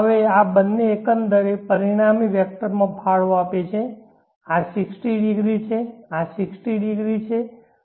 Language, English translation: Gujarati, Now these two contribute to the overall resultant vector this is 60 degree this60 degrees cos 60 is 0